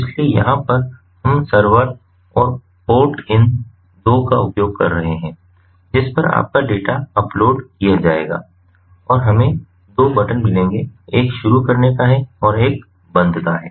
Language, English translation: Hindi, so over here also, we are using these two: the ip of the server, in the port onto which your data will be uploaded, and we have got two buttons: one is initiate and one is stop